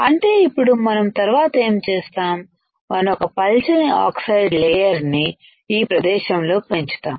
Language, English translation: Telugu, So, now what we will do next step is we will grow a thin layer of oxide in this region